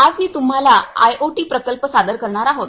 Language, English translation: Marathi, Today we are going to present you an IoT project